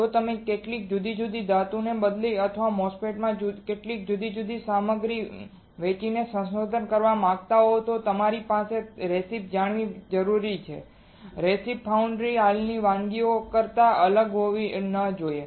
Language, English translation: Gujarati, If you want to do a research by changing some different metals or by selling some different materials in a MOSFET, you have to tell your own recipe and that recipe should not be extremely different than the existing recipes in the foundry